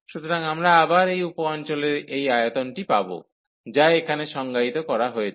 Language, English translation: Bengali, So, we will get again this volume of this sub region, which is define here